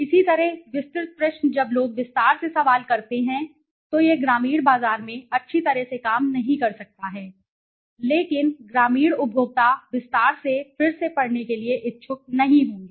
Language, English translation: Hindi, So detailed question similarly when people make detail questions, it might not work well in the rural market because the rural consumer would not be interested to re read in detail right